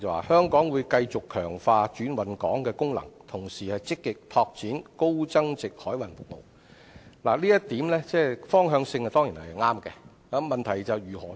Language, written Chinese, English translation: Cantonese, 香港會繼續強化轉運港功能，同時積極拓展高增值海運服務，發揮好"超級聯繫人"的作用。, Hong Kong will continue to reinforce its function as a transshipment hub and at the same time actively develop high value - added maritime services so as to better serve the role as the super - connector between the Mainland and the rest of the world